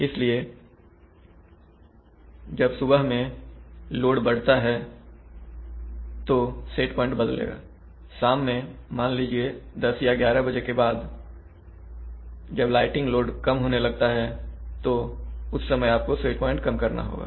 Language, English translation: Hindi, So when you will have load coming in the morning it set point will be changed, when lighting load in the evening will start going down, after let us say 10 o'clock or 11o'clock load will fall at that time you have to reduce the set point